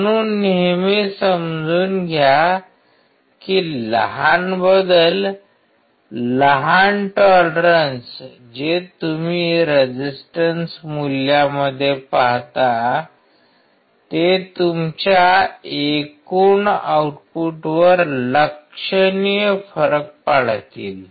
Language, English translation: Marathi, So, always understand that the small changes, small tolerances that you see in the resistance value will have a significant difference on your overall output